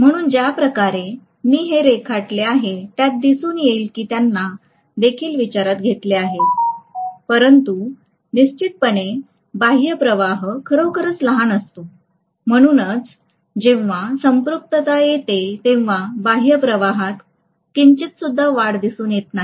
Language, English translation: Marathi, So the way I have drawn it it looks as though that is also you know taken into consideration but definitely the extrinsic flux is going to be really really small, that is the reason why when the saturation occurs, any little increase in the extrinsic flux is not noticeable at all